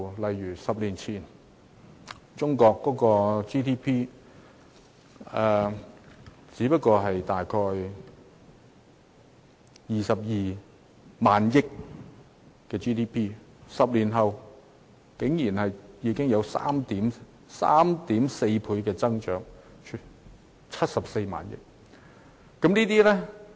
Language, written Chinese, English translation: Cantonese, 在10年前，中國的 GDP 只不過是約22萬億元，但在10年後，中國的 GDP 竟增長了 3.4 倍，達74萬億元。, Ten years ago Chinas GDP was only about 22 trillion . But 10 years later Chinas GDP has increased by a staggering 3.4 times amounting to 74 trillion